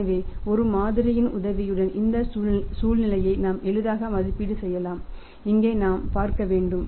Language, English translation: Tamil, So, we can easily evaluate this situation with the help of a model and here we have to see